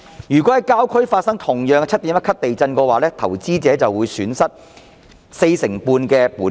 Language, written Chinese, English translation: Cantonese, 如果在郊區發生 7.1 級地震，投資者便會損失四成半本金。, In case 7.1 magnitude earthquake took place at the rural areas investors would lose 45 % of their principal